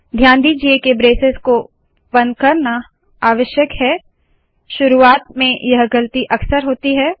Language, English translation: Hindi, Note that the opening brace has to be closed, not closing the brace is a common mistake made by the beginners